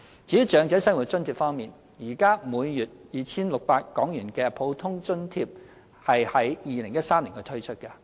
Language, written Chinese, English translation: Cantonese, 至於長者生活津貼方面，現時每月 2,600 港元的普通額津貼在2013年推出。, As for OALA the Normal OALA which currently stands at a monthly rate of HK2,600 was launched in 2013